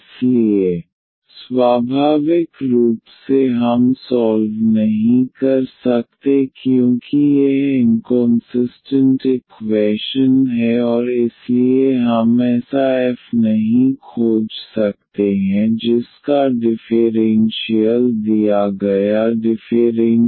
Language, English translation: Hindi, So, naturally we cannot solve because this is inconsistent equation and hence we cannot find such a f whose differential is the given differential equation